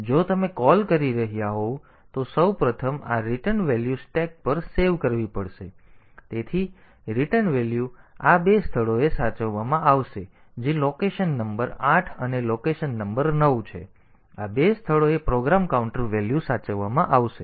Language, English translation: Gujarati, So, first this return value has to be saved onto the stack, so the return value will be saved in these two location that is location number 8 and location number 9; in these two locations the program counter value will be saved